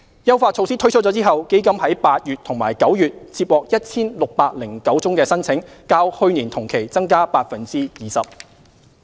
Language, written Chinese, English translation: Cantonese, 優化措施推出後，基金於8月及9月接獲 1,609 宗申請，較去年同期增加 20%。, Upon the launch of the enhancement measures EMF received 1 609 applications in August and September an increase of 20 % as compared to the same period last year